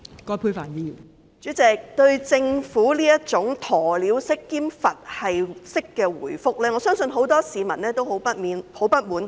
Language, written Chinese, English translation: Cantonese, 代理主席，對於政府這種鴕鳥式和"佛系式"的答覆，我相信很多市民感到相當不滿及不會接受。, Deputy President I believe many members of the public will find this kind of ostrich - like and Buddhist - style reply of the Government very unsatisfactory and unacceptable